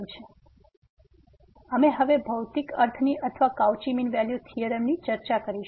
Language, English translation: Gujarati, So, if you now we discuss the geometrical meaning or the of this Cauchy mean value theorem